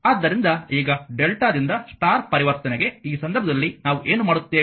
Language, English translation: Kannada, So, now delta to star conversion right you have to in this case what we will do